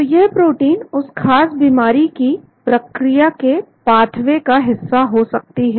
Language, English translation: Hindi, So this protein could be in the pathway of the particular disease process